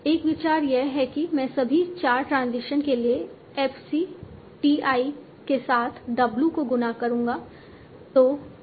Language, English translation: Hindi, An idea is that I will multiply W with F, C, T I for all the four transitions